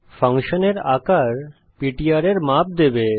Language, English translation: Bengali, Sizeof function will give the size of ptr